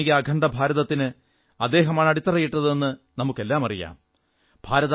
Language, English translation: Malayalam, All of us know that he was the one who laid the foundation stone of modern, unified India